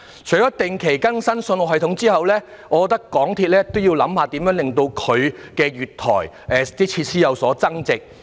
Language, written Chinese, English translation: Cantonese, 除了定期更新信號系統外，我覺得港鐵公司亦應要檢討如何令月台設施有所增值。, Aside from regularly upgrading the signalling system I think MTRCL should also review how to enhance its platform facilities